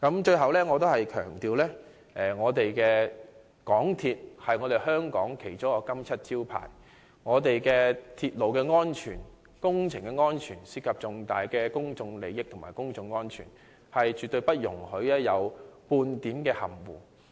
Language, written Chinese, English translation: Cantonese, 最後，我再次強調，港鐵公司是香港其中一個金漆招牌，我們的鐵路安全及工程安全涉及重大的公眾利益及公眾安全，絕對不容許有半點含糊。, Lastly I wish to repeat one point . MTRCL is one of the renowned brands in Hong Kong . As railway safety and works safety involve significant public interest and public safety no ambiguity should be allowed